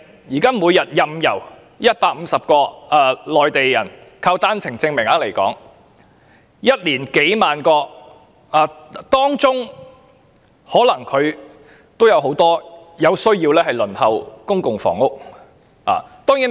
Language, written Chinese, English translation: Cantonese, 現時，每天有150名內地人持單程證來港，一年便有數萬人，當中必然包含有需要輪候公屋的人士。, Their number would add up to tens of thousands in a year . Amongst them there must be some who need to apply for public housing